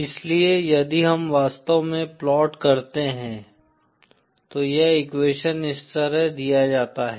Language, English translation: Hindi, So if we actually plot, in fact this equation is given like this